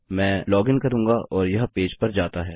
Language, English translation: Hindi, Ill log in and it goes to a page that doesnt exist